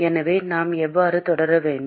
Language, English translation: Tamil, So, how should we proceed